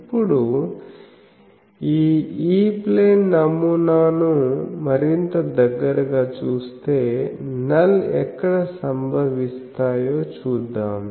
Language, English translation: Telugu, Now, let us now look more closely this E plane pattern